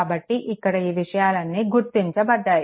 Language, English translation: Telugu, So, all this things are marked